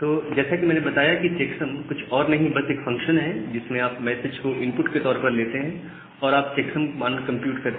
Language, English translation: Hindi, So, as we have said that checksum is nothing but a function in where you are taking a message in as input and you are computing the checksum value